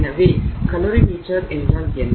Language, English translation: Tamil, So, what is a calorie meter